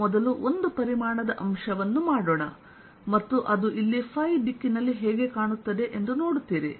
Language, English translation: Kannada, let me first make one volume element and you will see what it looks like here in phi direction